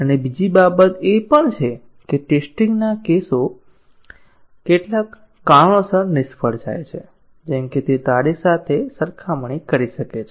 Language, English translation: Gujarati, And also, another thing is that, the test cases fail for some reasons like, it may be comparing with date